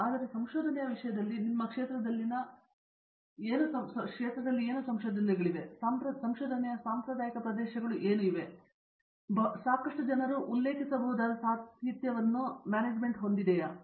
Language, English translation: Kannada, But in terms of research, are there areas of research in your field which are considered you know traditional areas of research, which have been there for a long time where may be there is lot of literature out there that people can refer to